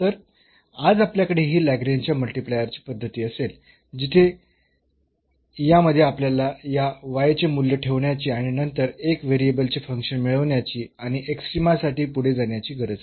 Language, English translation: Marathi, So, today we will have this method of Lagrange multiplier where we do not have to substitute the value of y in this one and then getting a function of 1 variable and proceeding further for extrema